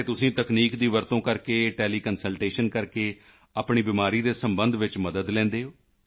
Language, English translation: Punjabi, And you take help of technology regarding your illness through teleconsultation